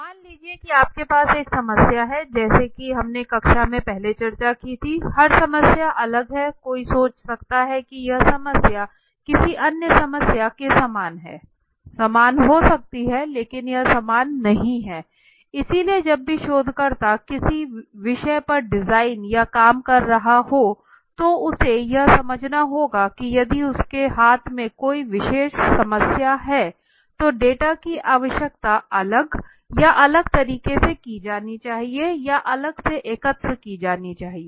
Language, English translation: Hindi, Purpose of addressing the problem in hand now suppose you have a problem as we you know our discussed earlier in the class every problem is different one might think keep this problem is very similar to another problem there might be similar but it is not same right so whenever the researcher is designing or working on a topic he has to understand that if he has a particular or a typical problem in hand then his data requirement has to be separately or done in different manner or has to be collected separately okay